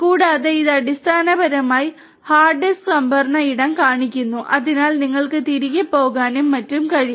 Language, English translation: Malayalam, And also this basically shows the hard disk storage space right, so you could get in go back and so on